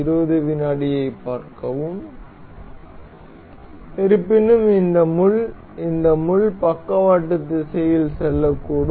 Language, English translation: Tamil, However, this pin can may this pin can move in lateral direction